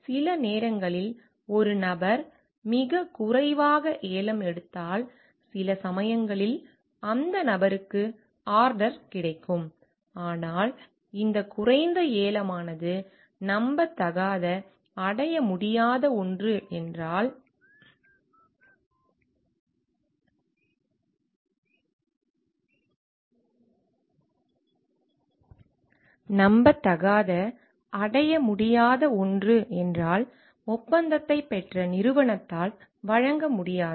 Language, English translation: Tamil, Sometimes if a person bids very low and the person then the person sometimes get order, but if this low bidding is something which is unrealistic, unachievable something which the company who has who got the contract will not be able to provide for